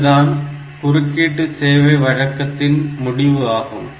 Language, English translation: Tamil, So, this is the end of the interrupt service routine